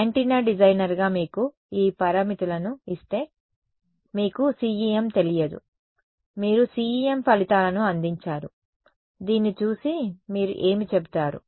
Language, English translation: Telugu, As an antenna designer if you are given these parameters right you do not know CEM you have given the results of CEM looking at this what will you say